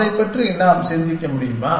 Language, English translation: Tamil, Can we think of that